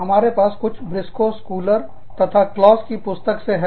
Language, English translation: Hindi, We have something from, Briscoe, Schuler, and Claus, this book